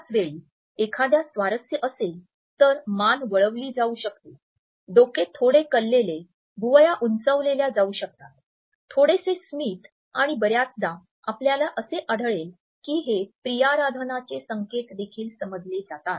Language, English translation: Marathi, At the same time is somebody is interested, then the neck maybe exposed, the head may be tilted the eyebrows may be raised there may be a little smile and often you would find that this is understood as a courtship signal also